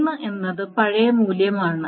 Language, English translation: Malayalam, So the 3 is the old value